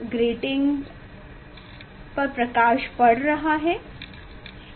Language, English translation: Hindi, light is coming falling on the grating